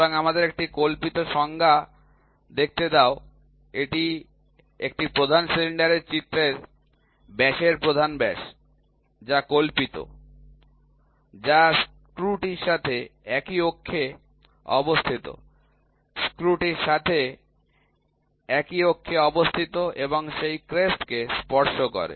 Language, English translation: Bengali, So, an imaginary let us see the definition, it is the major diameter the diameter of the image of a major cylinder, which imaginary, which is coaxial to the screw; coaxial to the screw and touches that crest, coaxial to the screw and which touches the crust